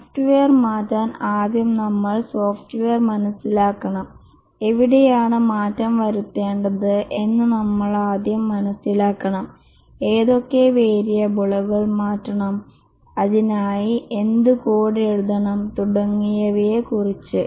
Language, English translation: Malayalam, We must first understand where the change has to be done, which variables are to be changed, what code is to be written for that, and so on